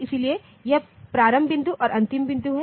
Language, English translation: Hindi, So, this start point and end point